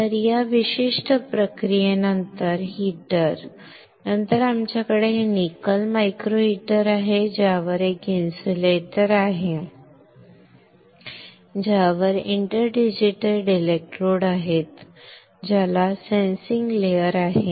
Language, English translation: Marathi, So, after the heater after this particular process we have this nickel micro heater on which there is a insulator; there is this insulator on which there are interdigitated electrodes on which there is a sensing layer